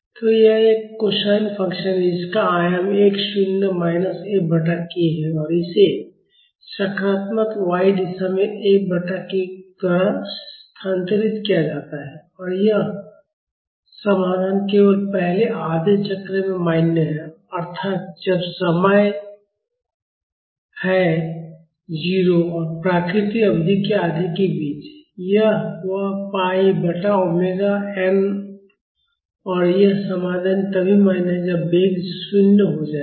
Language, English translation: Hindi, So, it is a cosine function with an amplitude x naught minus F by k and it is shifted in the positive y direction by F by k and this solution is valid only in the first half cycle, that is when the time is between 0 and the half of the natural period; that is pi by omega n (